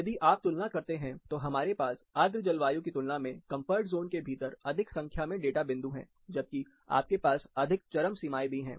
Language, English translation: Hindi, If you compare, we still have more number of data points, within comfort zone compared to humid climates, whereas, you have more extremities